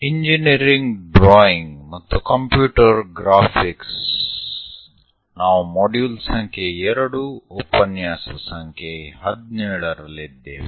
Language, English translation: Kannada, Engineering Drawing and Computer Graphics; We are in module number 2, lecture number 17